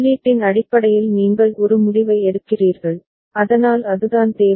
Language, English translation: Tamil, Then based on the input you take a decision ok, so that is the requirement